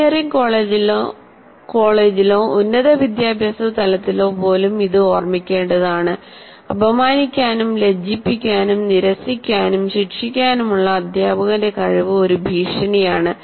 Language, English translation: Malayalam, And here, teachers' capacity to, this should be remembered, even at degree, that is even at engineering college or higher education level, the teacher's capacity to humiliate, embarrass, reject, and punish constitutes a perceived threat